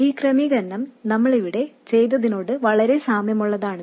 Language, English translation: Malayalam, The arrangement is very similar to what we did here